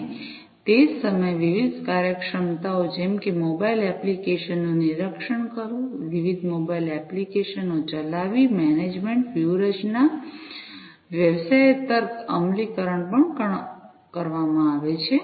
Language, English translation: Gujarati, And at the same time different functionalities such as monitoring having mobile apps, running different mobile apps, management strategies, business logic implementations, are also performed